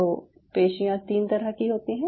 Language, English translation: Hindi, so there are three muscle types